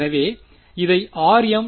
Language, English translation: Tamil, So, we can call this as r m